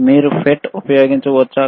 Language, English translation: Telugu, cCan you use FFT